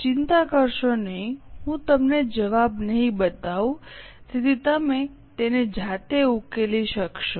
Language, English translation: Gujarati, Don't worry, I will not show you solution so that you can solve it yourself